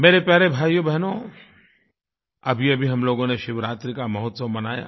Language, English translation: Hindi, My dear brothers and sisters, we just celebrated the festival of Shivaratri